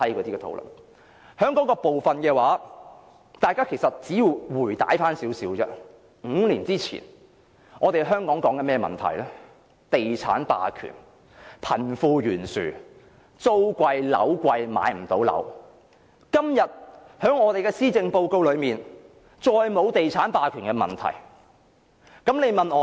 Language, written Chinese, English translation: Cantonese, 關於這個部分，如果大家回顧5年前，我們討論的問題是地產霸權、貧富懸殊、租貴樓貴、買不到樓，但今日施政報告中再沒有提及地產霸權問題。, Regarding this part if we look back five years ago we will see that the issues we discussed included developer hegemony disparity between the rich and the poor expensive rent and costly flats and the inability of the people to own a home . The Policy Address this time however has not mentioned the problem of developer hegemony not any more